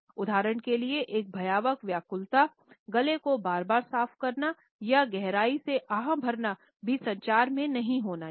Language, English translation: Hindi, Annoying distractions for example, clearing our throats repeatedly or sighing deeply should also be avoided in our communication